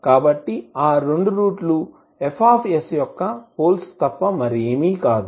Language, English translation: Telugu, So those two roots will be nothing but the poles of F s